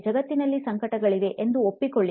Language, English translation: Kannada, Acknowledge that there is suffering in the world